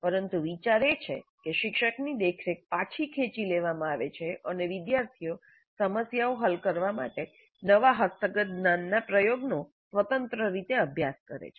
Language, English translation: Gujarati, But the idea is that the teachers' supervision is with known and students independently practice the application of the newly acquired knowledge to solve problems